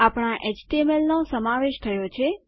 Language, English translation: Gujarati, Our html has been incorporated